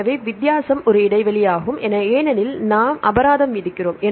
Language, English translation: Tamil, So, the difference is a gap because of the gaps we give the penalty